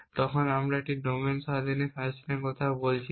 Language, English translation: Bengali, We are interested in talking about domain independent fashions